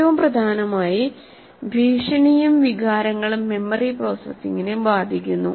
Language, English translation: Malayalam, And most importantly, threats and emotions affect memory processing